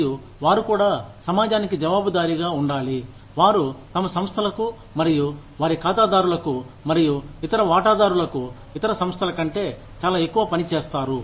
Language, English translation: Telugu, And, they also, have to be accountable to the community, they function in, and to their clients, and other stakeholders, much more than other organizations